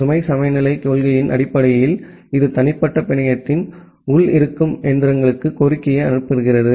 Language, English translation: Tamil, Based on the load balancing principle, it forwards the request to one of the machines which are internal to the private network